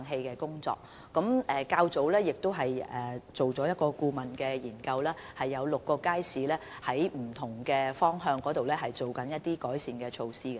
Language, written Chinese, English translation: Cantonese, 較早前，我們已完成了一項顧問研究，現正就6個街市進行不同方面的改善措施。, Some time ago we completed a consultancy study and various improvement measures are now under way in six public markets